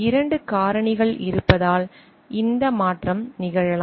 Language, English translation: Tamil, This transition may happen because there are 2 factors